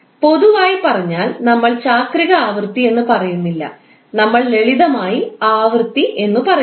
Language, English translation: Malayalam, In general terms we do not say like a cyclic frequency, we simply say as a frequency